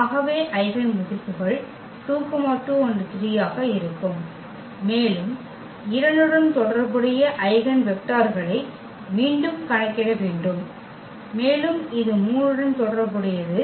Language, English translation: Tamil, So, the eigenvalues will be 2 2 and 3 and we have to compute again the eigenvectors corresponding to the 2 and also corresponding to this 3